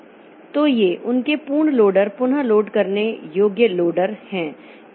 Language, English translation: Hindi, So, these are their absolute loaders, relocatable loaders